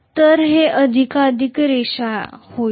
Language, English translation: Marathi, So it will become more and more linear